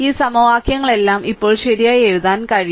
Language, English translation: Malayalam, So, all these equations now you can write right